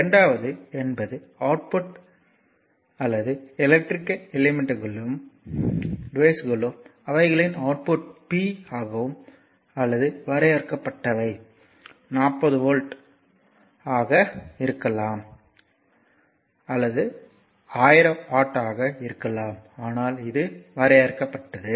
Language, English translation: Tamil, And second thing is that output or if you take an electrical elements or devices; their power output is maybe limited maybe 40 watt maybe 1000 watt, but it is limited right